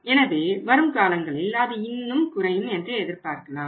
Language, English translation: Tamil, So, we can expect that in the time to come it may further go down